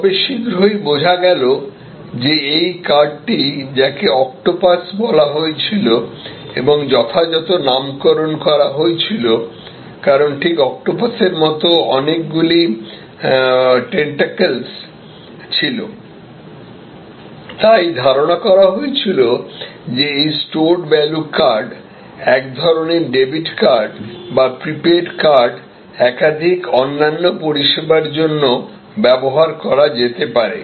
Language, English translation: Bengali, But, soon it was understood that this card, which was called octopus and rightly named because just as an octopus had number of tentacles, it was conceived that this stored value card, sort of a debit card, sort of a prepaid card could be used for multiple other services